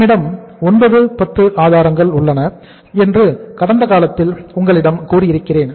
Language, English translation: Tamil, I told you some time in the in the past also that we have 9, 10 sources